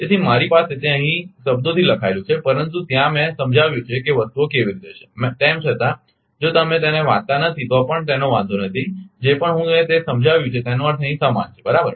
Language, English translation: Gujarati, So, I have a here it is written in words, but there I have explained how things are right even, if you do not read it also does not matter whatever I have explained just meaning is same here right